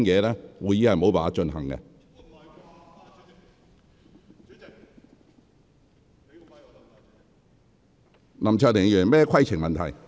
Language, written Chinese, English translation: Cantonese, 林卓廷議員，你有甚麼規程問題？, Mr LAM Cheuk - ting what is your point of order?